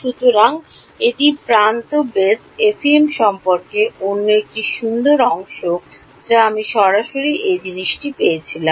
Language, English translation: Bengali, So, that is another nice part about the edge base FEM that I got straight away this thing